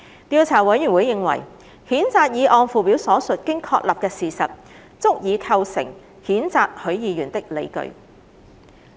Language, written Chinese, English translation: Cantonese, 調查委員會認為，譴責議案附表所述經確立的事實，足以構成譴責許議員的理據。, The Investigation Committee comes to the view that the facts stated in the Schedule to the censure motion as established constitute grounds for the censure of Mr HUI